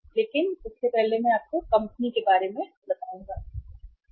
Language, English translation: Hindi, But before that I will tell you about the company